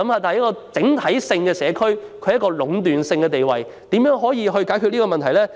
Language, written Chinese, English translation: Cantonese, 單一街市在整個社區中具壟斷地位，可以如何解決這問題呢？, A single market in an entire community will tend to develop into a monopoly and how can we solve the problem?